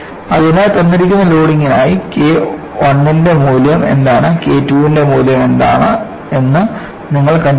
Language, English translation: Malayalam, So, for a given loading, you find out what is the value of K I, what the value of K II is and what the value of K III is